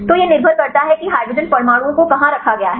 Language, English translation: Hindi, So, it depends upon where the hydrogen atoms are placed